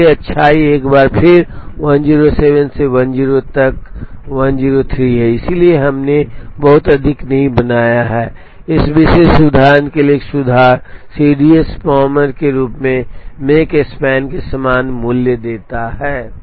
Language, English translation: Hindi, So, the goodness is once again 107 minus 103 by 103, so we have not made too much of an improvement for this particular example the CDS gives the same value of the make span as that of the palmer